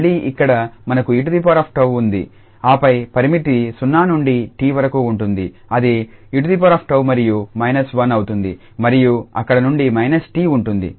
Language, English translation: Telugu, And again here we have e power tau and then the limit 0 to t which will be e power t and minus 1 and there will minus t from there